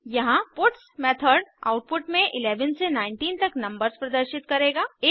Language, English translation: Hindi, The puts method here will display the output for numbers 11 to 19